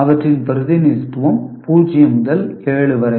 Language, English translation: Tamil, Let us consider the representation of them is 0 to 7